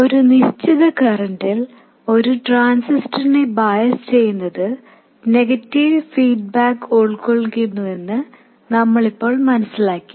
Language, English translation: Malayalam, We now understand that biasing a transistor at a given current involves negative feedback